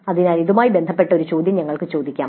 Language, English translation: Malayalam, So we can ask a question related to that